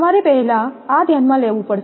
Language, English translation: Gujarati, You have to consider this first one